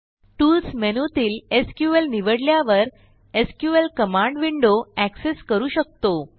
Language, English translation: Marathi, The SQL command window is accessed by choosing SQL from the Tools menu